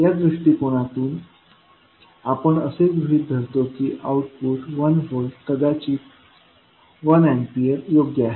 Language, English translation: Marathi, In this approach we assume that output is one volt or maybe one ampere or as appropriate